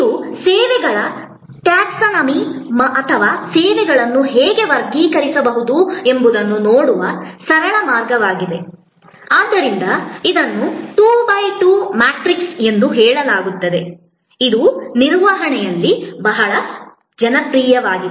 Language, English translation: Kannada, This is a simple way of looking at the taxonomy of services or how services can be classified, so it is say 2 by 2 matrix, which is very popular in management